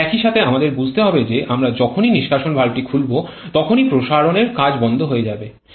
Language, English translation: Bengali, But at the same time we have to understand that as soon as we are opening the exhaust valve then the expansion work will start